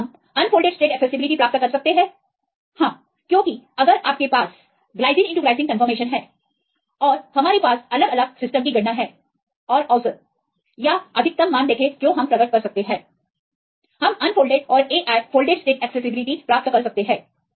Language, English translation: Hindi, So, can we get unfolded state accessibility, yes, because we if you have the Gly x Gly conformation and we have calculate different systems and see the average or see the maximum values we can get unfolded state can we get the Ai folded state accessibility